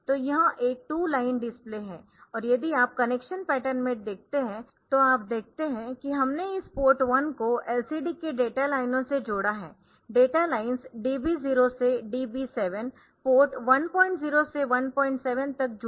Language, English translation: Hindi, So, it is a 2 line display and if you look into the connection pattern then you see that we have connected this port 1 to the data lines of the LCD, DB 0 to DB 7 they are connected to port 1